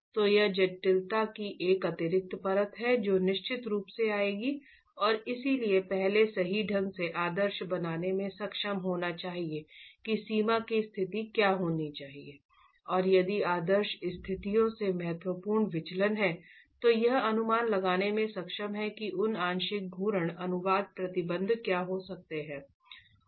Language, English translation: Hindi, So, this is an additional layer of complexity that would definitely come in and therefore first being able to idealize rather correctly what the boundary conditions should be and if there is significant deviation from idealized conditions being able to estimate what those partial rotational translation restraints could be is the other aspect that needs to be looked at